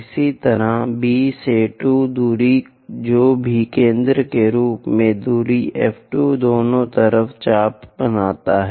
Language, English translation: Hindi, Similarly, from B to 2 distance whatever the distance F 2 as centre make an arc on both sides